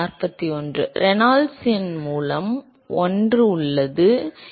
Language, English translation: Tamil, There is 1 by Reynolds number, right